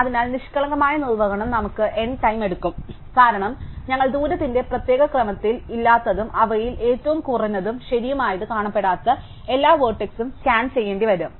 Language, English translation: Malayalam, So, the naive implementation would take us order n time because we would have to scan all the unvisited vertices, which are in not in any particular order of distance and among them find the minimum, right